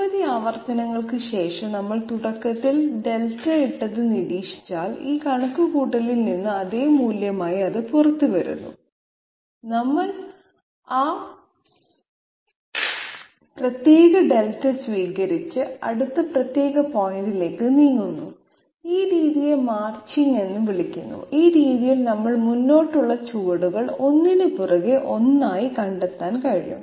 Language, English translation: Malayalam, So after several iterations if we observe that whatever Delta we put in at the beginning, it is coming out as the same value from this calculation we accept that particular Delta and move onto the next particular point and this method is called Marching and this way we can find out the forward steps one after the other